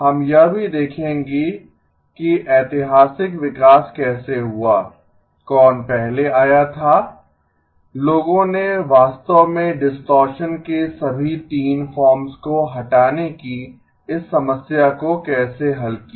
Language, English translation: Hindi, We will also look at how the historical development happened which came first, how did people actually solve this problem of removing all 3 forms of distortion